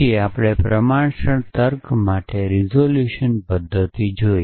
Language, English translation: Gujarati, Then we saw the resolution method for proportional logic